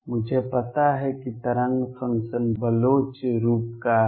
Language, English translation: Hindi, The wave function I know is of the Bloch form